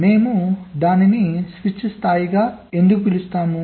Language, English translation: Telugu, so why we call it as a switch level